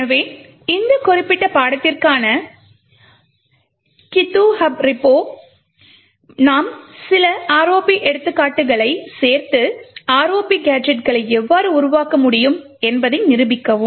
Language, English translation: Tamil, So, in the github repo for this particular course we would be adding some ROP examples and demonstrate how ROP gadgets can be built